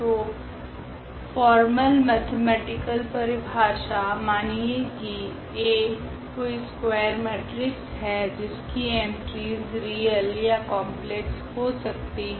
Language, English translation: Hindi, So, the definition the mathematical formal definition here: let A be any square matrix, the entries can be real or the entries of the matrix A can be complex